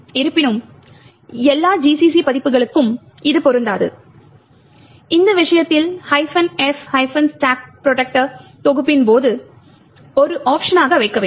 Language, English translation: Tamil, However, this may not be the case for all GCC versions in which case you have to put minus f stack protector as an option during compilation